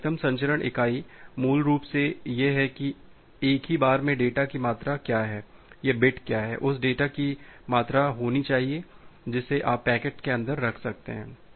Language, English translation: Hindi, So, the maximum transmission unit is basically that at a single go, what is the amount of data or what is bit should be the amount of the data that you can put inside the packet